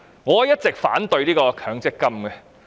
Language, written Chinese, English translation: Cantonese, 我一直反對強積金計劃。, I have all along opposed the MPF scheme